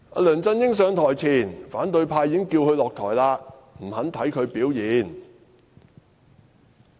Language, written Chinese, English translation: Cantonese, 梁振英上台前，反對派已經叫他下台，不肯看他表現......, The opposition camp even asked Mr LEUNG to step down before he took office . They did not even want to see how he would perform in office